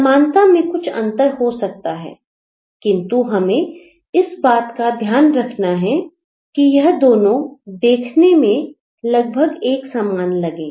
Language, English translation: Hindi, The similarity has some variation, but we will have to make sure that they look slightly similar